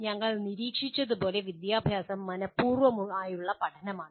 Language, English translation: Malayalam, Education as we noted is intentional learning